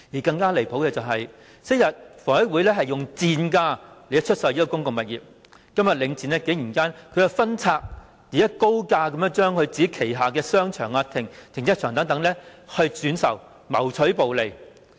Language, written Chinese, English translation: Cantonese, 更離譜的是，昔日房委會以賤價出售公共物業，今日領展竟然分拆及以高價轉售旗下的商場及停車場，謀取暴利。, What is more ridiculous is that while HA sold off public assets at rock - bottom prices back then Link REIT has outrageously divested its shopping arcades and car parks and resell them at high prices to reap exorbitant profits